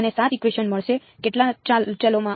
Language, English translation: Gujarati, I will get 7 equations; in how many variables